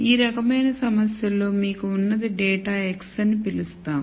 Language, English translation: Telugu, In this type of problem what you have is data we will call data x